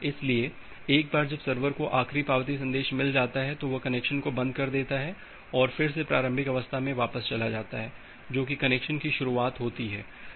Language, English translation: Hindi, So, once it server gets the last acknowledgement message, it close the connection and again it goes back to the initial state that is the starting of the connection